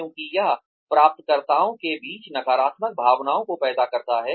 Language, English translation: Hindi, Because, it produces negative feelings, among recipients